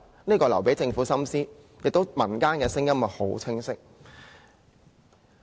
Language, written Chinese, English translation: Cantonese, 這個留給政府深思，民間的聲音亦很清晰。, This is left to the Government to ponder yet the popular voice on this is very clear